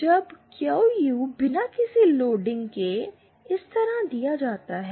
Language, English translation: Hindi, When QU without any loading is given by this